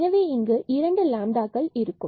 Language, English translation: Tamil, So, we have to introduce more lambdas